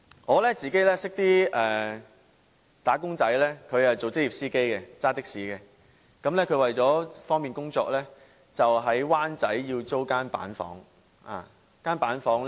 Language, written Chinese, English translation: Cantonese, 我認識一名"打工仔"，他是職業的士司機，為了方便工作，在灣仔租住板間房。, I know a wage earner who is a taxi driver . To facilitate work he rents a cubicle in Wan Chai